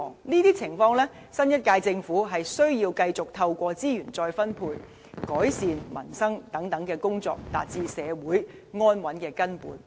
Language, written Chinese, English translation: Cantonese, 這些情況，新一屆政府需要繼續透過資源再分配、改善民生等工作，達致社會安穩的根本。, In the face of these situations the new Government needs to continue reallocating resources and enhancing the peoples livelihood thereby laying the foundation for social stability